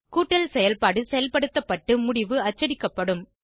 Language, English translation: Tamil, The addition operation will be performed and the result will be printed